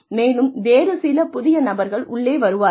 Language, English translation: Tamil, And, new people come in